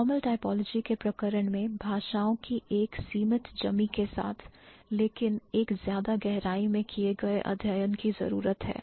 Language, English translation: Hindi, In case of formal typology with a limited set of languages, but more in depth studies required